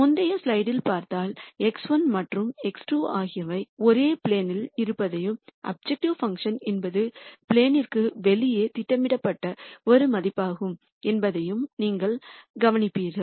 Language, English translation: Tamil, And if you looked at the previous slide you would notice that x 1 and x 2 are in a plane and the objective function is a value that is projected outside the plane